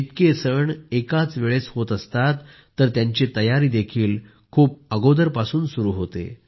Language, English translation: Marathi, When so many festivals happen together then their preparations also start long before